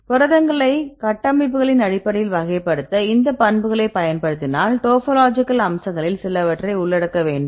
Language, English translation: Tamil, So, if you classify the proteins based on structures and then use these properties then we include the some of the topology aspects